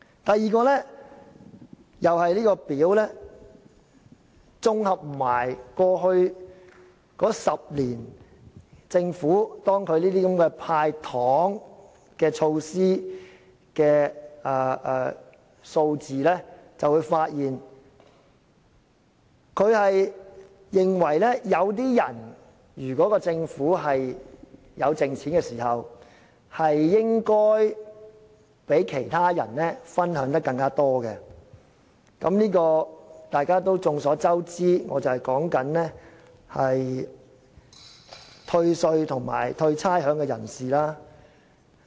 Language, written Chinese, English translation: Cantonese, 第二，綜合過去10年政府"派糖"措施的數字便會發現，如果政府有盈餘時，有些人應該較其他人分享得更多——眾所周知，我說的正是獲得退稅和退差餉的人士。, Second from the figures concerning the sweeteners given out by the Government over the last decade we notice that when the Government has surplus certain people would enjoy more benefits than other people . As we all know what I am referring to are the people who can enjoy rebates in salaries tax and rates